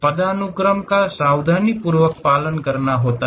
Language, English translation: Hindi, The hierarchy has to be carefully followed